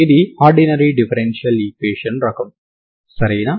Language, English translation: Telugu, This is a ordinary differential equation type, ok